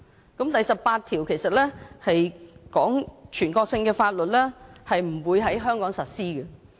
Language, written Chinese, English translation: Cantonese, 《基本法》第十八條指出全國性的法律不會在香港實施。, Article 18 of the Basic Law points out that national laws shall not be applied in Hong Kong